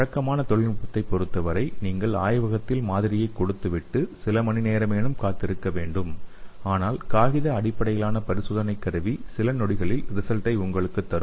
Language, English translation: Tamil, And in case of conventional technique you have to take the sample to the lab and you have to wait for few hours but in case of paper diagnostic kit you can get the result within a few seconds okay